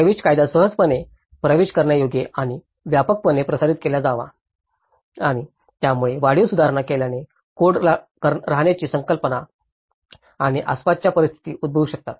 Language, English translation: Marathi, Access legislation should be easily accessible and widely disseminated and so incremental improvement, the code dwelling concepts and surroundings can happen